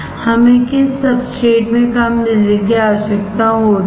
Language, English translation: Hindi, Which substrate we require less power